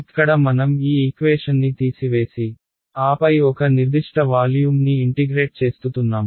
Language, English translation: Telugu, Here that is why I am subtracting these equation and then integrating over one particular volume